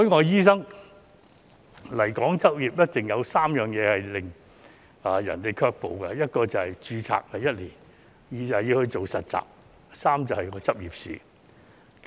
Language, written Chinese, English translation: Cantonese, 有3件事一直令海外醫生對來港執業卻步：第一是註冊年期只有1年，第二是實習，第三是執業試。, There are three aspects that discourage overseas doctors from practising in Hong Kong first the one - year registration period; second internship; and third the licensing examination